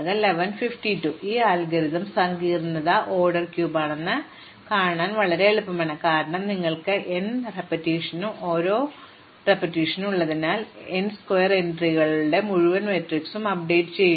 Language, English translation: Malayalam, So, this algorithm it is very easy to see that the complexity is order n cube, because you have n iteration and an each iteration we are updating the entire matrix which has n square entries